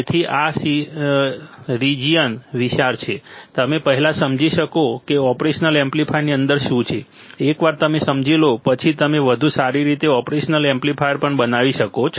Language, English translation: Gujarati, So, this field is vast, you can first you should understand what is within the operational amplifier, once you understand you can make better operational amplifier as well